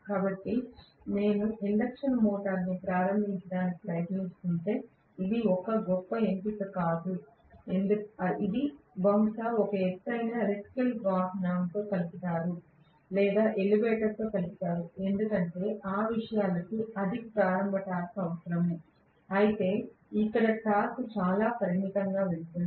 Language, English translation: Telugu, So it is not a great option if I am trying to start an induction motor which is probably coupled to a hoist, coupled to an electric vehicle or coupled to an elevator because those things require a high starting torque, whereas here the torque is going to be very very limited, I am not going to get a good amount of torque